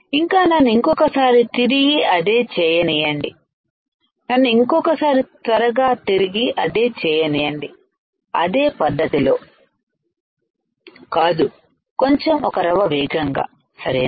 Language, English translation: Telugu, So, let me once again repeat it let me once again quickly repeat it, not in the same fashion little bit faster right